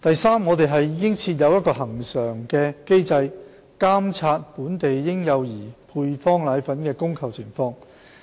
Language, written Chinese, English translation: Cantonese, 三我們已設有恆常機制監察本地嬰幼兒配方粉的供求情況。, 3 We have put in place an established mechanism to monitor the demand and supply of powdered formulae in Hong Kong